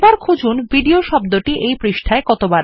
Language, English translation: Bengali, Find how many times the word video appears in the page